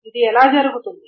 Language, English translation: Telugu, And how is this done